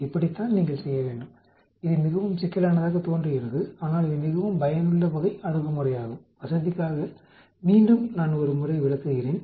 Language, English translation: Tamil, This is how you need to do, it is looks very complicated but then it is a very useful type of approach, let me explain once more for the convenience